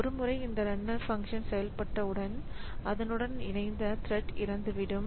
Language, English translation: Tamil, So, once the runner function is over the thread will also die